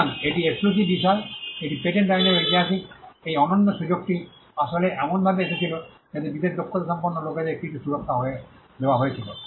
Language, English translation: Bengali, So, this is exclusive this is the historical part of patent law, this exclusive privilege actually came in a way in which some protection was granted to people with special skills